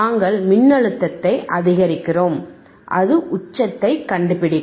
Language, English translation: Tamil, wWe increase athe voltage, it will just detect the peak it will detect the peak